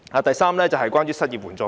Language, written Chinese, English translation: Cantonese, 第三是關於失業援助金。, Third unemployment assistance